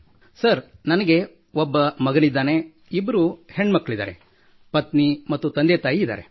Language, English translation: Kannada, And Sir, I have a son, two daughters…also my wife and parents